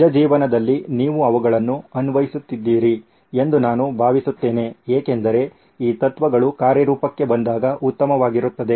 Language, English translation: Kannada, I hope you have been applying them on real life as well because these principles are best when put in action